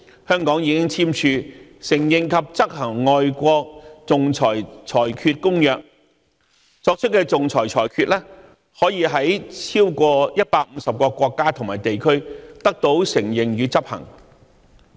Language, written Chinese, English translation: Cantonese, 香港已經簽署《承認及執行外國仲裁裁決公約》，作出的仲裁裁決可以在超過150個國家和地區得到承認與執行。, Hong Kong is a signatory to the Convention on the Recognition and Enforcement of Foreign Arbitral Awards . The awards made in Hong Kong are recognized and enforceable in 150 countries and regions